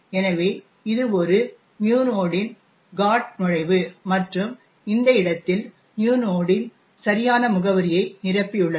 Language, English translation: Tamil, So, this is the GOT entry for new node and it has filled in the correct address for new node in this location